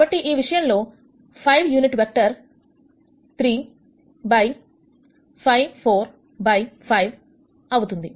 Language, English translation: Telugu, So, the unit vector becomes 3 by 5 4 by 5